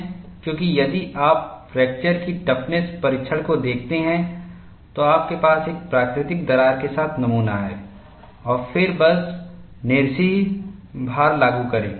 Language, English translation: Hindi, Because, if you look at the fracture toughness testing, you have the specimen with a natural crack and then, simply apply monotonic load